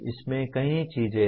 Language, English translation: Hindi, There are several things in this